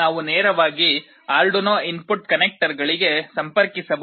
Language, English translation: Kannada, We can directly connect to the Arduino input connectors